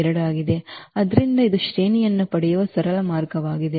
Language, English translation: Kannada, So, this is a simplest way of getting the rank